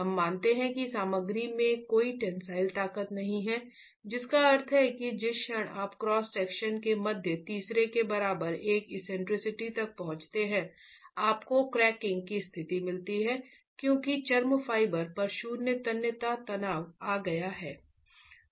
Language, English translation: Hindi, We assume that the material has no tensile strength, which means the moment you reach eccentricity, the moment you reach an eccentricity equal to the middle third of the cross section, you get the conditions for cracking because zero tensile stress has been arrived at the extreme fibre